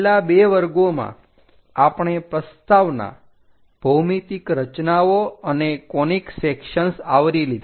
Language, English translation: Gujarati, In the last two classes, we have covered introduction, geometric constructions and conic sections